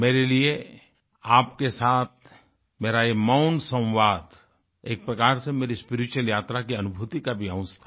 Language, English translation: Hindi, For me, this nonvocal conversation with you was a part of my feelings during my spiritual journey